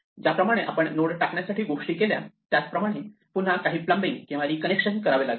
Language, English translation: Marathi, Well again just as we did insert we would do some re plumbing or re connection